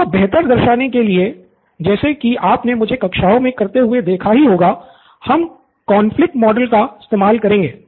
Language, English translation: Hindi, Now a better way of representing which you have seen me show in the classes is the conflict model